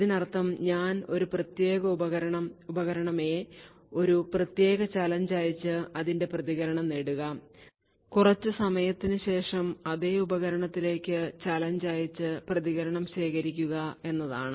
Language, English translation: Malayalam, This means that if I take a particular device say device A, send it a particular challenge and obtain its response and after some time send the challenge to the same device and collect the response